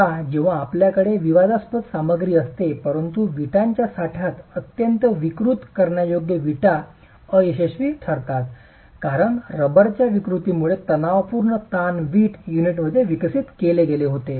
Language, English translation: Marathi, Now when you have incompressible material but deformable, highly deformable, in the stack of bricks, the bricks failed in tension because tensile stresses were developed in the brick unit because of the deformation of the rubber